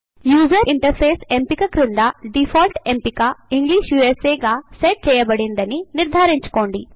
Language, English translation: Telugu, Under the option User interface,make sure that the default option is set as English USA